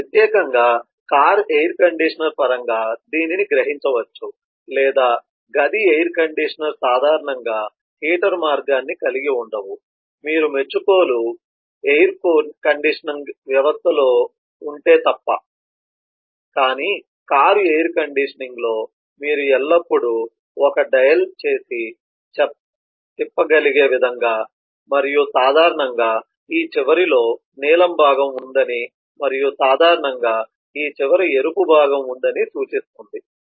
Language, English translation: Telugu, you can conceive of this in terms of particularly car air conditioners or room air conditioners usually do not have the heater path, unless you are in an appreciation air conditioning system but in a car air conditioning, you will always find that there is a dial like this which can be rotated and it show that there is a blue part usually on this end and there is a red part usually on this end